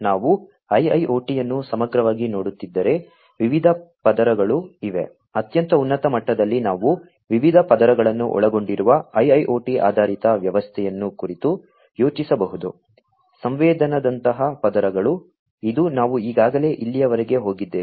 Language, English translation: Kannada, If, we are looking at a IIoT holistically, there are different layers, at a very high level, we can think of an IIoT based system, to be comprised of different layers; layers such as sensing, which is what we have already gone through so far